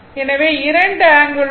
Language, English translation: Tamil, So, both angle 0